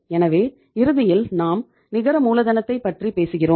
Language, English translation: Tamil, So ultimately we are talking about the net working capital